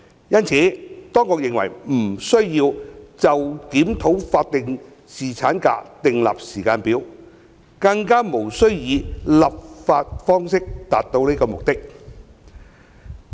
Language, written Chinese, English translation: Cantonese, 因此，當局認為不需要就檢討法定侍產假訂立時間表，更加無須以立法方式達到此目的。, The Administration thus does not see the need to provide a timetable for the review of statutory paternity leave or find it necessary to achieve this purpose by way of legislation